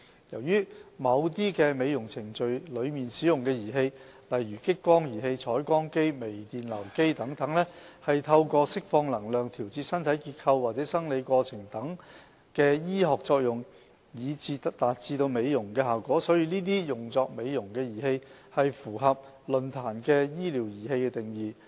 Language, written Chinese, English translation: Cantonese, 由於某些美容程序中使用的儀器，例如激光儀器、彩光機、微電流機等，是透過釋放能量調節身體結構或生理過程等醫學作用以達致美容的效果，所以這些用作美容的儀器符合論壇的"醫療儀器"定義。, As certain devices used in cosmetic procedures such as lasers intense pulsed light equipment and device emitting micro - current achieve cosmetic effect through medical means such as modifying the anatomy or physiological processes of human bodies by the energy emitted they therefore fall under the definition of medical device stipulated by IMDRF